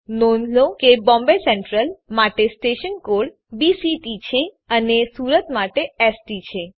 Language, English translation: Gujarati, Notice the station code, BCT is for Bombay Central and ST is for Surat